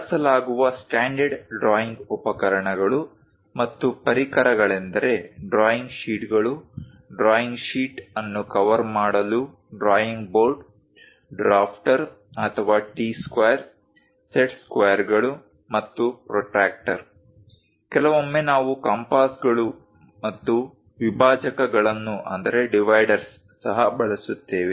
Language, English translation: Kannada, The standard drawing instruments and accessories used are drawing sheets , a drawing board to cover drawing sheet, a drafter or a T square, set squares, and protractor; occasionally, we use compasses and dividers also